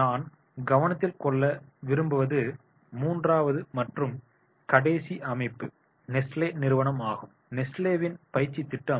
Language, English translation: Tamil, The third and last organization which I would like to take into consideration is the Nesley training program at Nesley